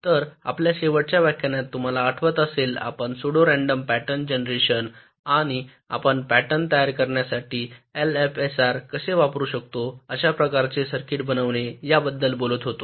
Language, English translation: Marathi, so in our last lecture, if you recall, we were talking about pseudo random pattern generation and how we can use l f s r to generate the patterns for building such type of a circuits